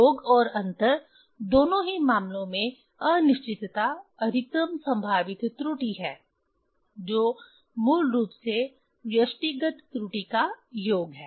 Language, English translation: Hindi, For summation and difference in both cases, uncertainty is maximum probable error is basically summation of the individual error